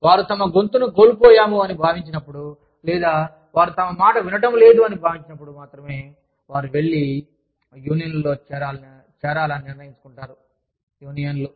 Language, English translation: Telugu, It is only, when they feel, they have lost their voice, or, when they feel, that they are not being heard, that they decide to go and join, unions